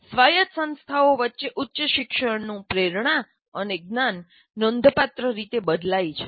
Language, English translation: Gujarati, Motivations and knowledge of higher education vary considerably among the non autonomous institutions